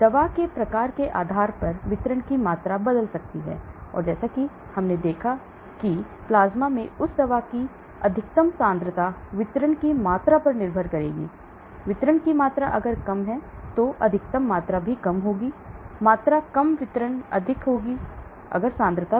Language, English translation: Hindi, So the volume of distribution may change depending upon the type of drug and as I showed that the maximum concentration of that drug in the plasma will depend upon the volume of distribution, higher the volume of distribution lower will be that max concentration, lower the volume of distribution higher will be that concentration